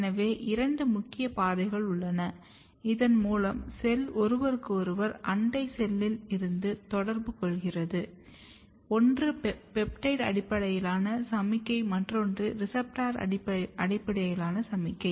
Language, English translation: Tamil, So, there are two major pathways through which cell communicate with each other from the neighboring cell, one is basically signaling which is peptide based signaling or receptor based signaling